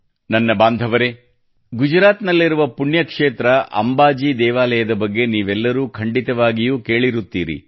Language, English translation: Kannada, My family members, all of you must have certainly heard of the pilgrimage site in Gujarat, Amba Ji Mandir